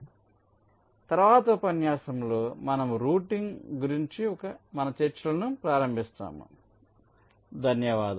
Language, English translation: Telugu, so in the next lecture we shall be starting our discussions on routing